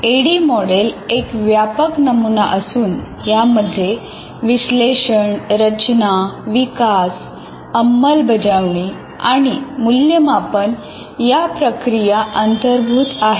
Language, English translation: Marathi, And the ADI is a very generic model representing analysis, design, development, implement and evaluate activities